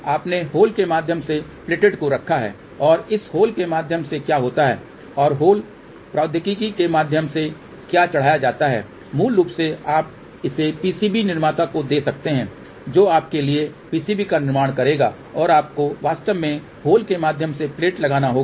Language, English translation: Hindi, You put a plated through hole and through this hole what happens and what is the plated through hole technology, basically you can give it to the PCB manufacturer who will fabricate PCB for you and you actually have to put the plated through hole